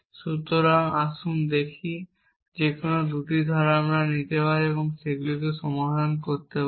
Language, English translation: Bengali, So, let us see we can take any 2 clauses and resolve them